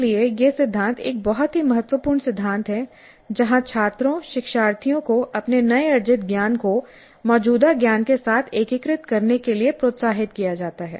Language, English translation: Hindi, So this principle is a very important principle where the students, the learners are encouraged to integrate their newly acquired knowledge with the existing knowledge